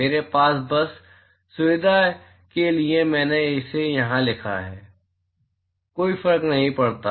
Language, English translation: Hindi, I have just, for convenience sake I have written it here, does not matter